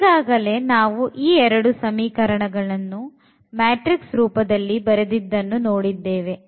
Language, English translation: Kannada, So, we can write down this equation these equations in the form of the matrix vectors